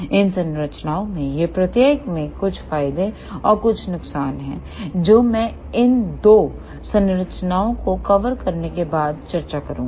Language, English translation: Hindi, Each one of these structures have some advantages and some disadvantages which I will discuss after covering these two structures